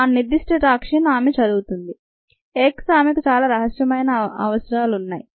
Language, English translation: Telugu, the particular toxin she is studying x, ah, yes, she has a lot of secrecy